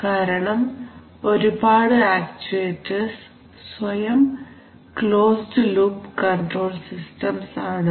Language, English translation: Malayalam, Mainly because of the fact that, several actuators are actually closed loop control systems themselves